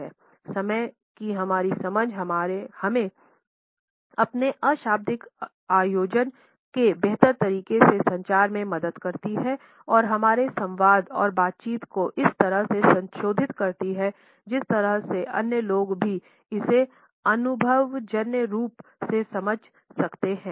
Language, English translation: Hindi, Our understanding of time helps us to organize our nonverbal communication in a better way and to modulate our dialogue and conversations in such a way that the other people can also empathetically understand it